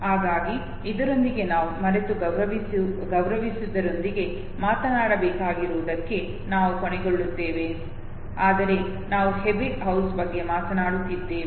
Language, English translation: Kannada, So with this we come to an end to whatever we had to talk with respect to forgetting but because we are talking about Ebbinghaus